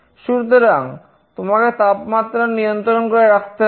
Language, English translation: Bengali, So, you need to maintain the temperature